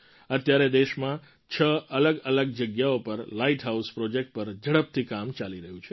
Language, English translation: Gujarati, For now, work on Light House Projects is on at a fast pace at 6 different locations in the country